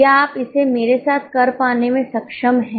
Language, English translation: Hindi, Are you able to get it with me